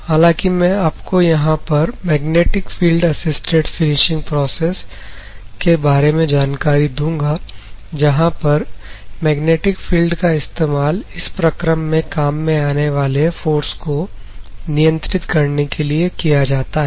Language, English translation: Hindi, However, I am going to give you some of the introductions about the magnetic field assisted finishing processes, where magnetic field is used to control the forces of this particular process